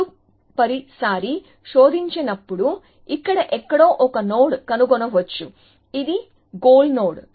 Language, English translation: Telugu, Then the next time it searches, it may find a node somewhere here, which is a goal node